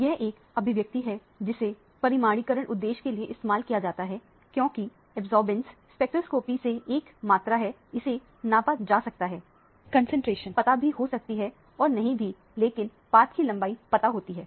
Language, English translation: Hindi, This is an expression that is used for quantification purposes because absorbance is a measurable quantity from the spectroscopy, concentration can be either known or unknown, path length is known